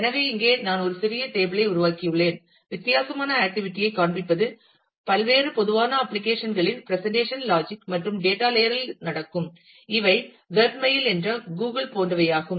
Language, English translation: Tamil, So, here I have created a small table, showing you the different activity is that happens at the presentation logic and data layer of different common applications like, web mail like, Google